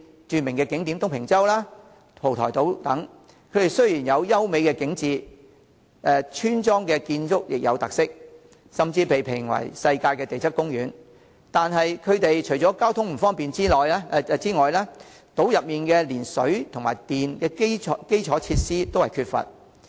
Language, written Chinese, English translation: Cantonese, 著名的景點東平洲、蒲台島等，雖然有優美的景致，村落建築有特色，甚至被評為世界地質公園，但除了交通不便，島內連水電等基礎設施都缺乏。, In the case of the renowned tourist attractions such as Tung Ping Chau and Po Toi Island despite having beautiful landscape and featured village structures and even being named as a global geopark transport links are inconvenient and worse still there is even a lack of infrastructure facilities such as water and electricity